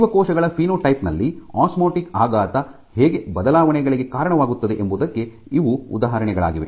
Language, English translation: Kannada, So, these are examples of how an osmotic shock leads to alterations in the phenotype of the cells